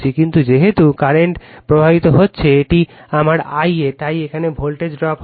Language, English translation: Bengali, But, as the current is flowing, this is my I a so there will be voltage drop here